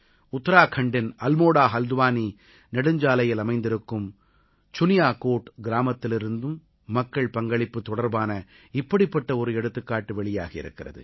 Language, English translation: Tamil, Village Suniyakot along the AlmoraHaldwani highway in Uttarakhand has also emerged as a similar example of public participation